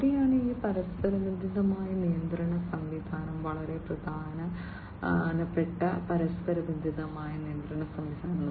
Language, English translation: Malayalam, And that is where this interconnected control system is also very important interconnected control system